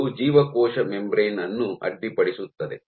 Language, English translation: Kannada, So, this might end up disrupting the cell membrane